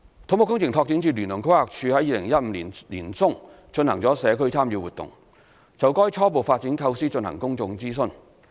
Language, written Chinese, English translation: Cantonese, 土木工程拓展署聯同規劃署於2015年年中進行了社區參與活動，就該初步發展構思進行公眾諮詢。, To consult public views on the initial development concept CEDD and PlanD conducted a community engagement exercise in mid - 2015